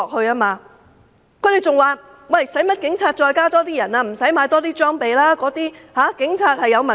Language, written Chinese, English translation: Cantonese, 他們還說，警隊無需再增加人手，無需再購買裝備，因為警察有問題。, They added that the Police need not increase manpower or buy more equipment because they are at fault